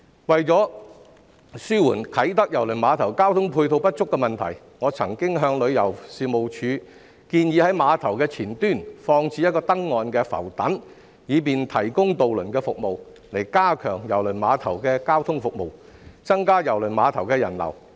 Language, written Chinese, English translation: Cantonese, 為紓緩啟德郵輪碼頭交通配套不足的問題，我曾經向旅遊事務署建議在碼頭前端放置一個登岸浮躉，以便提供渡輪服務，加強郵輪碼頭的交通服務，增加郵輪碼頭的人流。, To ameliorate the inadequacy of ancillary transport facilities at KTCT I have proposed to the Tourism Commission that a pontoon should be moored to the apron of KTCT to facilitate the provision of ferry services so as to strengthen the transport services of KTCT and increase the flow of people thereat